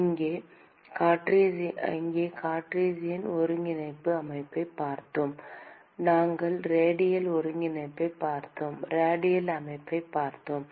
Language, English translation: Tamil, And here, we looked at Cartesian coordinate system; we looked at radial coordinates, we looked at radial system